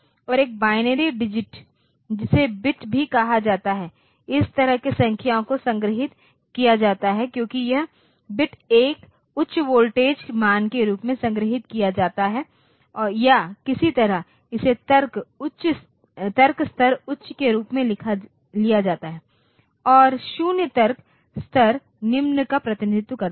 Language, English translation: Hindi, And a binary digit which is also called bit so that is how the numbers are stored because this the bit 1 is stored as a high voltage value or the somehow it is been taken as logic level high and 0 represent the logic level low